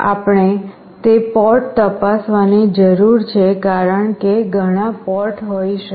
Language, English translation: Gujarati, We need to check the port as there can be many ports